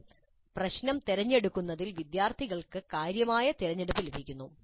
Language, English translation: Malayalam, But students do get considerable choice in the selection of the problem